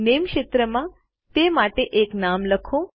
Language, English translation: Gujarati, Lets type a name for this in the Name field